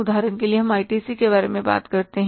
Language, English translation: Hindi, For example, you talk about the ITC